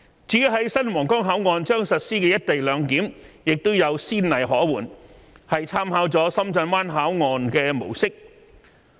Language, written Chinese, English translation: Cantonese, 至於在新皇崗口岸將實施的"一地兩檢"也有先例可援，是參考了深圳灣口岸的模式。, There are precedents for the implementation of the co - location arrangement at the new Huanggang Port . That is it has made reference to the model of the Shenzhen Bay Port